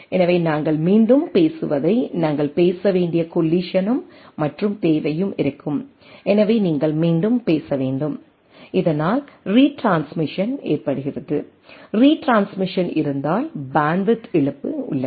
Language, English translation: Tamil, So, there will be collision and requirement we need to speak out what we are talking again, so you have to speak out again and which results in retransmission, if there is a retransmission then there is a loss of bandwidth right